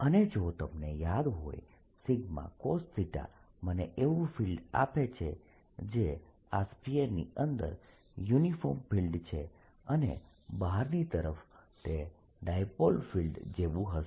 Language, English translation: Gujarati, and you recall that sigma cosine theta gives me a field which is uniform field inside this sphere and outside it'll be like a dipole field